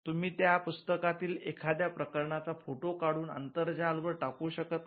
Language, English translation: Marathi, You cannot take a photograph of the chapter and post it on the internet